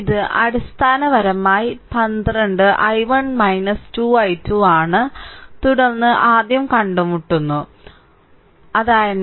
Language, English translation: Malayalam, It is basically 12 i 1 minus 2 i 2 then encountering minus terminal first